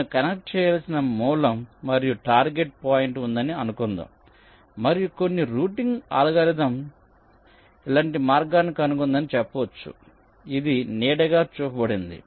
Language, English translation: Telugu, laid you, as suppose i have a source and a target point which i have to connect and, let say, some routing algorithm has found out a path like this which is shown shaded